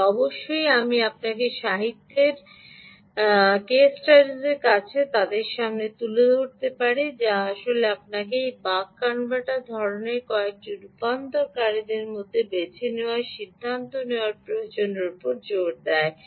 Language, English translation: Bengali, i can expose you to ah, those in literature, stu case studies in literature, which actually emphasize the need for you to decide to choose between ah, several of these buck converter